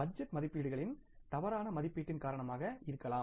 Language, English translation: Tamil, It may be because of the wrong estimation of the budget estimates